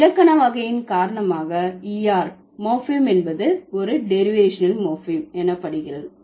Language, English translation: Tamil, Because of the changed grammatical category, the ur morphine would be known as a derivational morphine